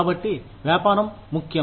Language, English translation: Telugu, So, business is important